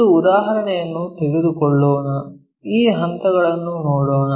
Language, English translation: Kannada, Let us take an example, look at these steps